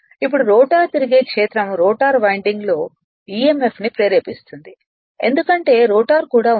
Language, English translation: Telugu, Now, also that rotor your rotating field induces emf in the rotor winding because rotor is also there